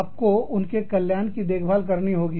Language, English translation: Hindi, You have to look after, their welfare